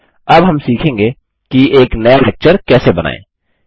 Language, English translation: Hindi, We shall now learn to create a new lecture